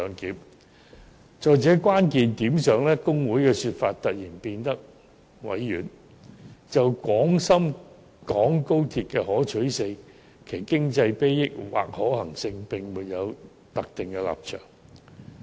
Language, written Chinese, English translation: Cantonese, 在成效這個關鍵問題上，大律師公會的說法突然變得委婉，指出："就廣深港高鐵的可取性，其經濟裨益或可行性，並沒有特定立場"。, On the key issue of efficiency HKBA took a tactful turn in its discourse pointing out that it takes no position on the desirability the economic advantages and viability of the high - speed rail